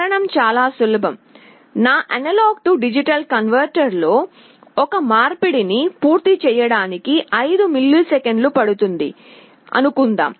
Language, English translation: Telugu, The reason is very simple, suppose my A/D converter takes 5 milliseconds to complete one conversion